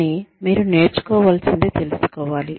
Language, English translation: Telugu, But, you should know, what you need to learn